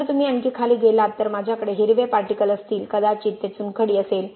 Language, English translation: Marathi, If you go further down I have green particles maybe that is limestone